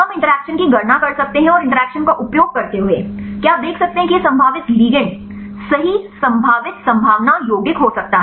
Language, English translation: Hindi, We can calculate the interaction and using the interaction whether you can see this could be the probable ligand right probable potential compound